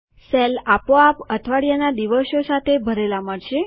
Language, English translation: Gujarati, The cells get filled with the weekdays automatically